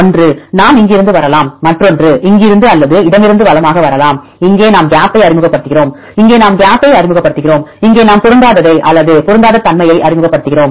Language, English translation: Tamil, One, we can come from here other one come from here or from left to right, here we introduce gap, here we introduce gap and here we introduce the alignment either match or mismatch